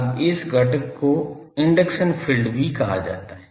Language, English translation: Hindi, Now, this component is also called induction field